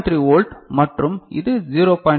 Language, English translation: Tamil, 3 volt right and this is 0